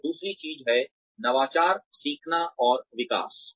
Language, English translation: Hindi, And, the other thing is, innovation, learning, and development